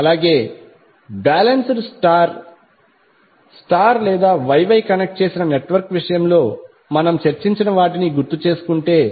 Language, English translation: Telugu, Also, if we recall what we discussed in case of balance star star or Y Y connected network